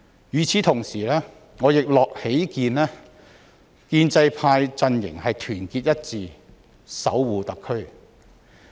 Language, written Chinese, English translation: Cantonese, 與此同時，我亦喜見建制派陣營團結一致守護特區。, In the meantime I am also pleased to see everyone in the pro - establishment camp unite together guarding HKSAR